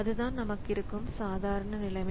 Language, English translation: Tamil, So, that is the normal situation that we have